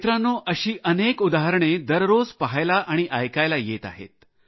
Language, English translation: Marathi, one is getting to see and hear of many such examples day by day